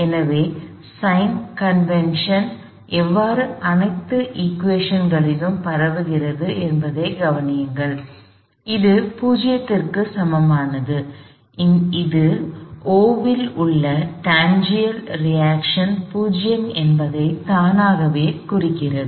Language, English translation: Tamil, So, notice how the sign convention propagates all the way to through to all the equations, this equal to 0, which automatically implies that the tangential reaction at O is 0